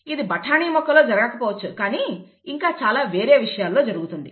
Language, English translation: Telugu, It does not happen in the pea plant but it happens in many other things